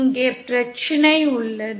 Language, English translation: Tamil, And here lies the problem